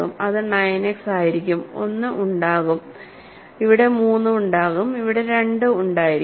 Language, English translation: Malayalam, So, that will be 9 X there will be a one there will be a 3 there will be a 2